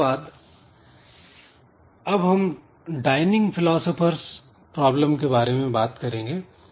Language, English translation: Hindi, Then we'll see another problem which is known as dining philosophers problem